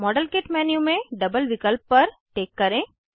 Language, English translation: Hindi, Check the double option in the modelkit menu